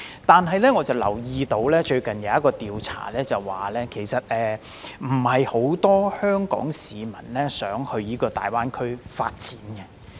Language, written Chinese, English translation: Cantonese, 但是，我留意到，最近有一項調查指出，並非很多香港市民想到大灣區發展。, Yet I have learnt from a recent survey that only a small number of Hong Kong people want to develop their career in GBA